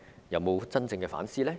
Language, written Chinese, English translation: Cantonese, 有否真正反思？, Have they really done introspection?